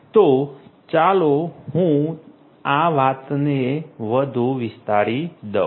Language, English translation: Gujarati, So, let me now elaborate this thing further